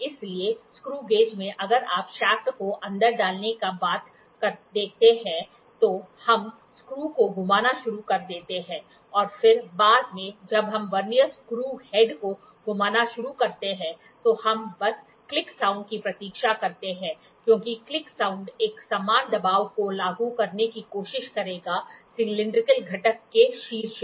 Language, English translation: Hindi, That is why in screw gauge if you see after the shaft is put inside, we start rotating the screw and then later when we start rotating the Vernier screw head, we just wait for the click sound because the click sound will try to apply uniform pressure on top of on the cylindrical component